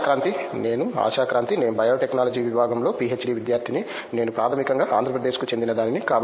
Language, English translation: Telugu, I am Asha Kranthi, I am a PhD student in Biotechnology Department and I am basically from Andra Pradesh